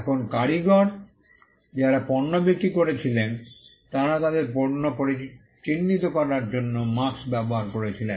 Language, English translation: Bengali, Now, craftsman who sold goods used marks to identify their goods